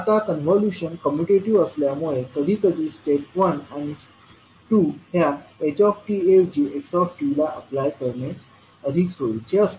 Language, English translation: Marathi, Now since the convolution is commutative it is sometimes more convenient to apply step one and two to xt instead of ht